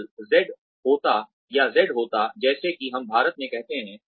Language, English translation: Hindi, If zee happens, or Z happens, as we say it in India